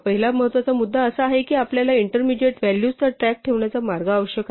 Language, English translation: Marathi, So, the first important point is that we need a way to keep track of intermediate values